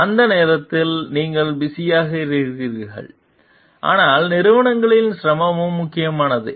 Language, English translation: Tamil, So, you are busy at that point of time, but company is difficulty is also important